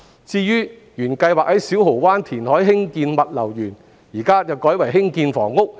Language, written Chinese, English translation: Cantonese, 至於原本計劃在小蠔灣填海興建的物流園，有關用地現在改為用於興建房屋。, As for the logistics park originally planned to be built in Siu Ho Wan after reclamation the site will now be used for housing development instead